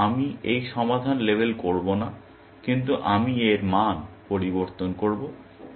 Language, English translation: Bengali, So, I will not label this solved, but I will change its value